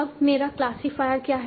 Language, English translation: Hindi, Now what is my classifier